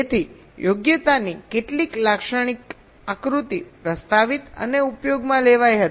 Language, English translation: Gujarati, so some typical figure of merits were ah proposed and used